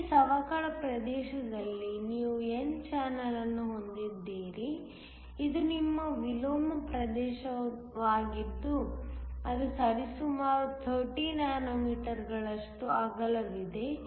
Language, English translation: Kannada, Within this depletion region you have an n channel, which is your inversion region which is approximately 30 nanometers wide